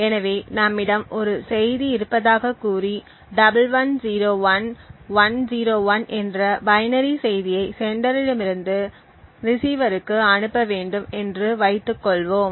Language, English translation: Tamil, So, let us say that we have a message and assume a binary message of say 1101101 to be sent from the sender to the receiver